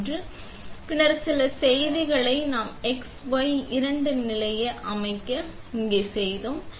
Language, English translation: Tamil, And, then some messages like do we set the x, y two position, what we did that